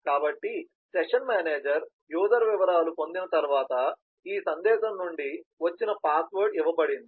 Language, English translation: Telugu, so once the session manager gets the user details, so it knows the password that has been given, that has come from this message